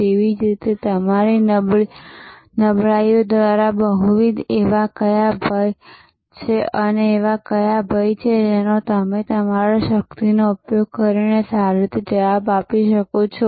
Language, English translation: Gujarati, And, similarly what are the threats, that are further complicated by your weaknesses and what are the threats that you can respond to well by using your strength